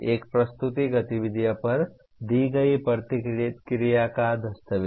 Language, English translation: Hindi, Document the feedback given on a presented activity